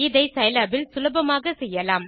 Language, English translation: Tamil, This can be done easily in Scilab